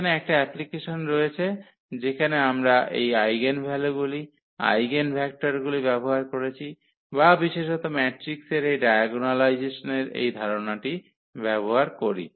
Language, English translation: Bengali, So, here was the one of the applications where we use this eigenvalues, eigenvectors or in particular this idea of the diagonalization of the matrix